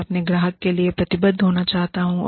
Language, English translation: Hindi, I want to be committed, to my customer